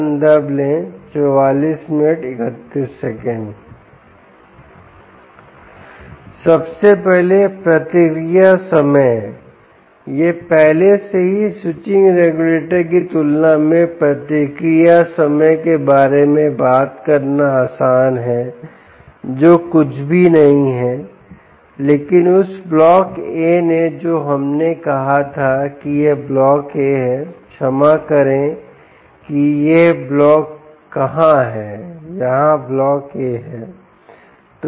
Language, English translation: Hindi, its easy to talk about the response time in comparison to the switching regulator already ok, which is nothing but that block a which we said: ok, this is this block a ah